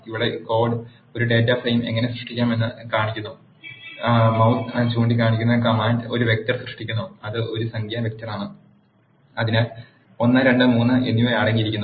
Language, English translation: Malayalam, The code here shows how to create a data frame; the command here where the mouse is pointed creates a vector which is a numeric vector, which is containing 1, 2 and 3